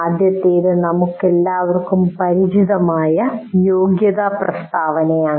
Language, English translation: Malayalam, First thing is competency statement that we are all familiar with